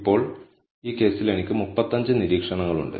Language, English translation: Malayalam, Now, in this case I have 35 observations